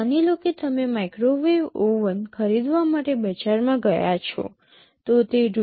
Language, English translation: Gujarati, Suppose you have gone to the market to buy a microwave oven, they are available for prices ranging for Rs